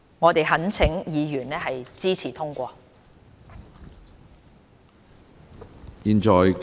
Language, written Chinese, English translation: Cantonese, 我們懇請委員支持通過。, We implore Members to vote in favour of the amendments